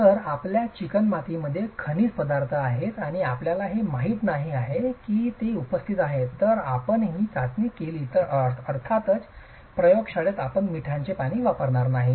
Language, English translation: Marathi, So, if your clay had minerals and you didn't know that they were present, if you do this test and of course in the lab you are not going to be using salt water